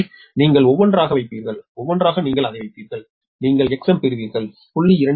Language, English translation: Tamil, so you, one by one, you will put it, one by one, you will put it and you will get x m new per unit